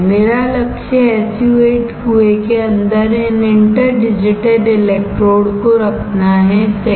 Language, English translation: Hindi, My goal is to have these interdigitated electrodes inside the SU 8 well, right